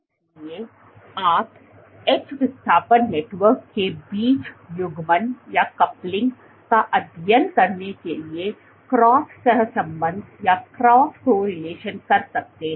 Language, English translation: Hindi, So, you can do cross correlation to study the coupling between edge displacement network turn over and flow